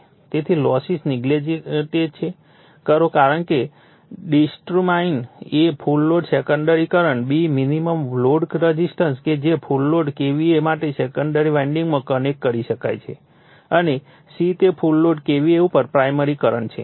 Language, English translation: Gujarati, So, neglecting losses determine, a the full load secondary current, b, the minimum load resistance which can be connected across the secondary winding to give full load KVA and c, is the primary current at full load KVA